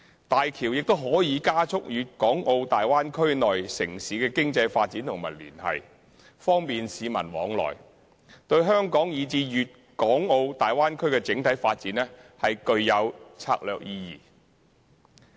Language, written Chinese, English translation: Cantonese, 大橋亦可加速粵港澳大灣區內城市的經濟發展和連繫，方便市民往來，對香港以至粵港澳大灣區的整體發展具有策略意義。, HZMB will enhance the economic development and connections among the cities of Guangdong - Hong Kong - Macao Bay Area Bay Area facilitate the movements of the people in the Bay Area and have strategic significance for the development of both Hong Kong and the Bay Area